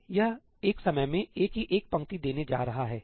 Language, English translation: Hindi, it is going to give one row of A at a time